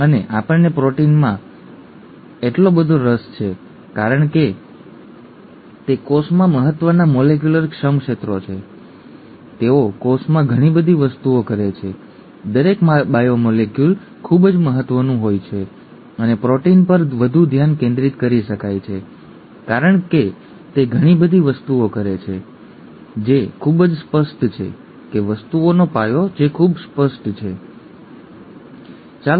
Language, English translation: Gujarati, And we are so interested in proteins because they are important molecular workhorses in the cell, they do lot of things in the cell, each biomolecule is very important and there , there could be more of a focus on proteins because it does so many things that are very apparent, that the basis of things that are very apparent, okay